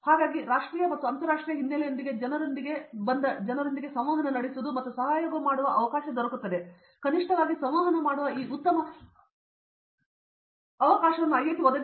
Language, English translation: Kannada, So, IIT provides this good opportunity of going and collaborating and at least interacting with people from national or from international background